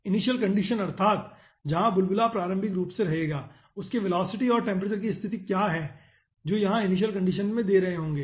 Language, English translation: Hindi, that means where the bubble will be staying initially, what are the velocity and temperature conditions those will be giving over here in initial conditions